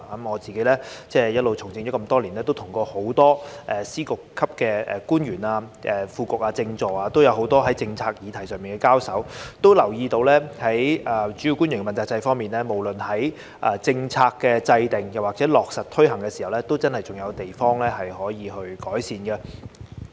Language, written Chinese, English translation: Cantonese, 我已從政多年，曾與很多司局長級的官員、副局長和政治助理多次在政策議題上交手，留意到在主要官員問責制方面，無論在政策制訂或落實推行上，真的仍有可以改善的地方。, I have been in the political field for many years and have also dealt with Secretaries of Departments Directors of Bureaux Under Secretaries and Political Assistants many times at work in respect of the policy issues . I notice that the accountability system for principal officials really still has room for improvement no matter in policy formulation or implementation